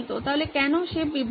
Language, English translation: Bengali, So why is he distracted